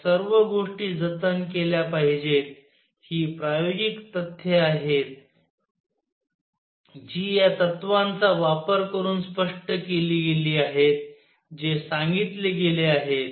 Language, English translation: Marathi, All these things should be preserved these are experimental facts, which were explained using these principles which are being stated